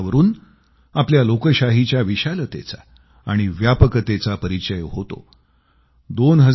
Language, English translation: Marathi, This stands for the sheer size & spread of our Democracy